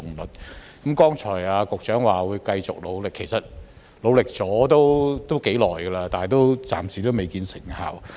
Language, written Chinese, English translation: Cantonese, 局長剛才表示會繼續努力，但其實已努力了頗長時間，暫時仍未見成效。, The Secretary said just now that he would continue to work hard but in fact he has been working hard for quite a long time but no remarkable effect has so far been achieved